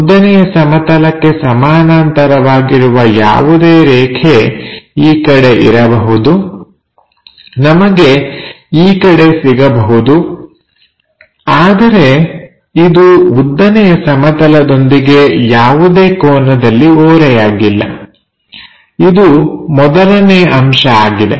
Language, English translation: Kannada, So, any line parallel to vertical plane may be in that direction, maybe in that direction we will have, but it should not make any inclination angle with vertical plane, this is the first condition